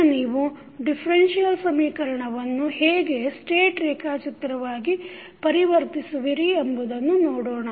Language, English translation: Kannada, Now, let us see how you will convert the differential equations into state diagrams